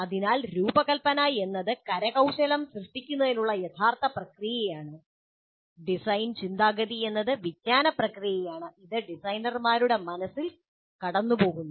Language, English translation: Malayalam, So design is the actual process of creating the artifact and the thinking is, design thinking is the cognitive process which goes through in the minds of the designers